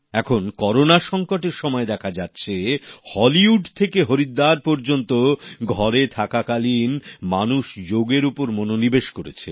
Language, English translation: Bengali, During the present Corona pandemic it is being observed from Hollywood to Haridwar that, while staying at home, people are paying serious attention to 'Yoga'